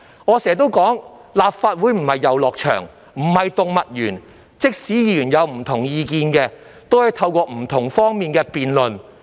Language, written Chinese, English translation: Cantonese, 我經常說，立法會可不是遊樂場或動物園，即使議員有不同意見，亦可從不同角度辯論。, As I always say the Legislative Council is no playground or zoo . Even if Members have different views they can debate from different perspectives